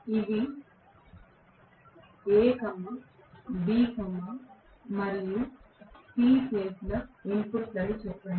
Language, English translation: Telugu, Let us say these are a, b, and c phase inputs